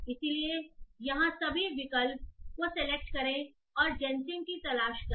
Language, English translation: Hindi, So here just select on the all option and look for GENC